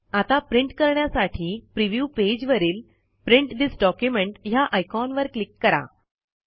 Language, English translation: Marathi, Now click on the Print this document icon in the preview page in order to print it